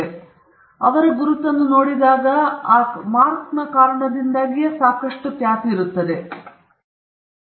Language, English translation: Kannada, So, when they see the mark, there is so much of reputation that is attributed to the mark, because this mark is how the company identifies itself